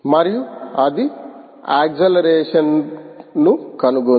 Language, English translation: Telugu, it has found out the acceleration